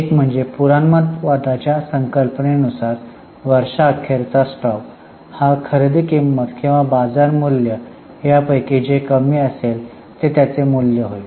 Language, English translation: Marathi, One is because of the application of the concept of conservatism, the closing stock is to be valued at cost or market value whichever is lesser